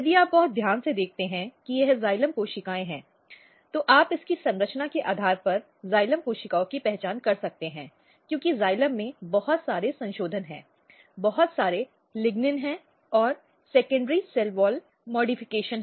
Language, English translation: Hindi, So, if you look very carefully this is the xylem cells, you can identify xylem cells based on its structure because xylem has lot of modifications, lot of lignin and secondary cell wall modification